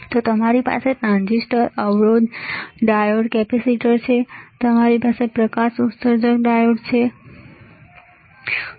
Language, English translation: Gujarati, So, you have transistors resistor, diode, capacitor, you have light emitting diode, isn't it